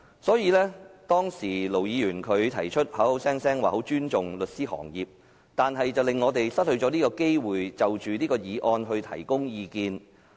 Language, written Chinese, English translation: Cantonese, 雖然盧議員聲稱他很尊重律師行業，但他卻令我們無法就"察悉議案"發表意見。, Although Ir Dr LO claimed that he highly respected the legal profession he did not allow us to express views on this take - note motion